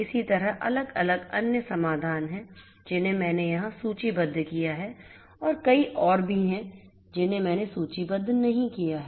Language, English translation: Hindi, Likewise, there are different different other solutions that I have listed over here and there are many more that I have not listed